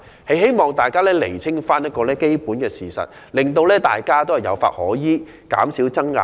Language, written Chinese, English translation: Cantonese, 我希望大家釐清基本的事實，讓大家有法可依，減少爭拗。, All I want is to clarify a basic fact so that relevant rules are stipulated for compliance to minimize disputes